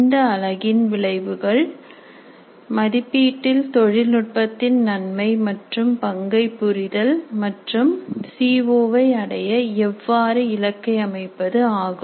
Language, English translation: Tamil, The outcomes for this unit are understand the nature and role of technology in assessment and understand how to set targets for attainment of COs